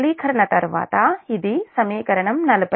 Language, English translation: Telugu, up on simplification, this is equations